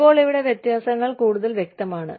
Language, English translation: Malayalam, Now, the differences are clearer here